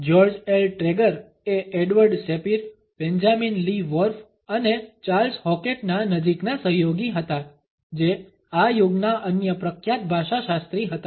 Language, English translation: Gujarati, George L Trager was a close associate of Edward Sapir, Benjamin Lee Whorf and Charles Hockett other famous linguist of this era